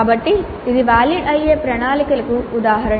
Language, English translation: Telugu, So this is an example of a valid plan